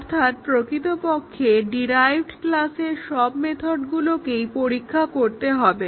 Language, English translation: Bengali, So, what really it means that all the methods of a derived class have to be tested